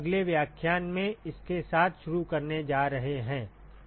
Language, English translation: Hindi, So, we are going to start with that in the next lecture